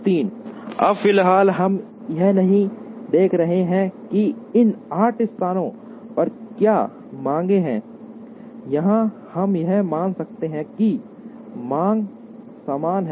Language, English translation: Hindi, Now, at the moment, we are not looking at, what are the demands in these eight places or we may assume that, the demands are equal